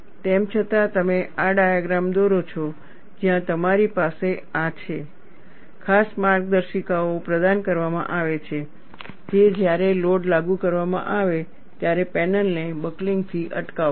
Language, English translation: Gujarati, Nevertheless, you draw this diagram, where you have this, special guides are provided which will prevent the panel from buckling, when loads are applied